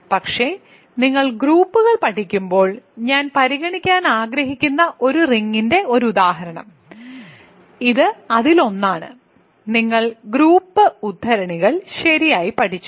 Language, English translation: Malayalam, But, one example of a ring that I want to consider when you studied groups; so, this is 1, you studied group quotients right